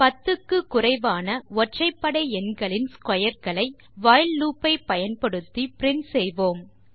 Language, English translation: Tamil, Let us print the squares of all the odd numbers less than 10, using the while loop